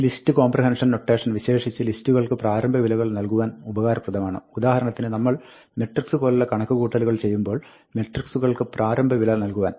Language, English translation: Malayalam, This list comprehension notation is particularly useful for initializing lists, for example, for initializing matrices, when we are doing matrix like computations